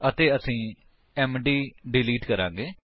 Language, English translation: Punjabi, Also we will delete md